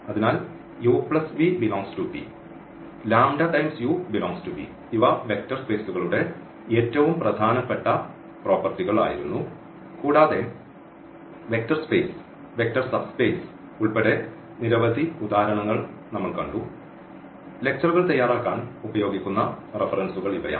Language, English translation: Malayalam, So, u plus v must belongs to V and lambda u must belong to V; these were the closure properties the most important properties of the vector spaces and we have seen several examples including the space vector spaces vector subspaces; so, these are the references used for preparing the lectures And thank you for your attention